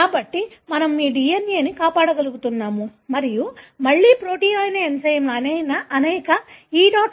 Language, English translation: Telugu, So, that is how we are able to maintain your DNA and such enzymes, which are again proteins, are extracted from many E